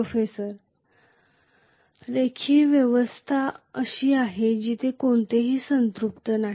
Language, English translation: Marathi, Proffessor:The linear system is where there is no saturation that has happened